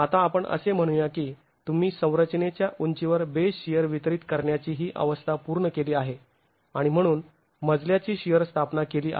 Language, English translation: Marathi, Now, once let's say you have completed this stage of distributing the base shear along the height of a structure and established your story shears